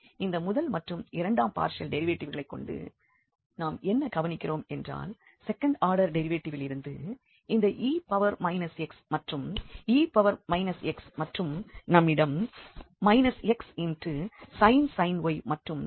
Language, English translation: Tamil, So, having these first and second order partial derivatives, what we observe from these two from the from the second order derivative that u e power minus x e power minus x and we have minus x sin y here the plus x sine y